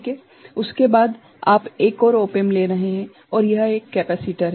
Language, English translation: Hindi, After that you are putting a op amp and this is a capacitor